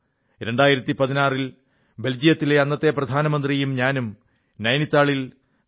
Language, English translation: Malayalam, In 2016, the then Prime Minister of Belgium and I, had inaugurated the 3